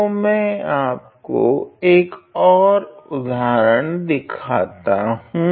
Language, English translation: Hindi, So, let me show you another example